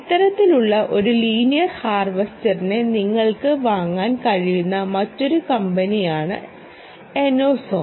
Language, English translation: Malayalam, enoceon, this is another company which were by which you can buy this kind of a linear harvesters